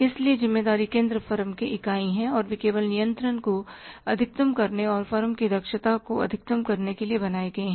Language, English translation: Hindi, So, responsibility centers are the subunits of the firm and they are created just to maximize the control and to maximize the efficiency of the firm